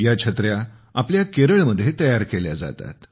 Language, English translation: Marathi, These umbrellas are made in our Kerala